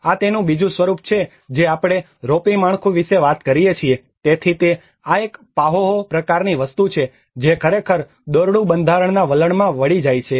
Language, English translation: Gujarati, \ \ \ This is another form we talk about the ropy structure, so that is where this is again a Pahoehoe sort of thing which actually twist into a trend of ropy format